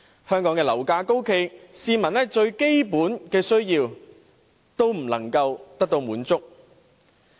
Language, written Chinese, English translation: Cantonese, 香港樓價高企，市民連最基本的需要亦無法滿足。, Property prices remain high in Hong Kong and people are even unable to satisfy their basic needs